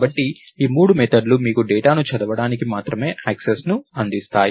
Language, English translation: Telugu, So, these three methods give you only read access to the data